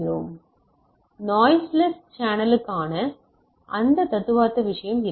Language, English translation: Tamil, So, there is that is the theoretical thing in a noiseless channel